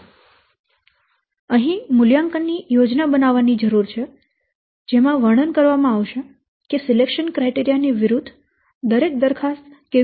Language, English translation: Gujarati, So, here it is needed to produce an evaluation plan describing how each proposal will be checked against the selection criteria